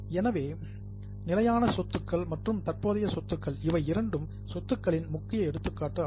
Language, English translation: Tamil, So, fixed assets, current assets, these are the major examples of assets